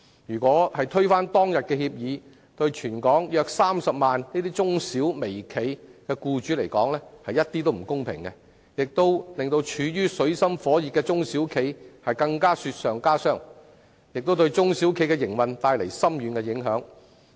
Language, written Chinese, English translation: Cantonese, 如果現時要推翻當日的協議，對於全港約30萬名中小微企的僱主絕不公平，亦會令處於水深火熱的中小企雪上加霜，對其營運帶來深遠影響。, It is absolutely unfair to the approximately 300 000 employers in the SMEs and micro - enterprises in the whole territory if the then agreement is overturned now . It will also add to the miseries of the SMEs which are already in dire straits and bring far - reaching impact on their operations